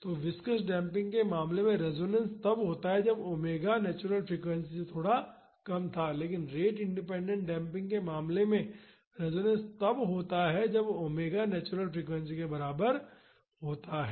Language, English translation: Hindi, So, in the case of viscous damping the resonance used to occur when omega was slightly less than the natural frequency, but in the case of rate independent damping resonance occurs when omega is equal to the natural frequency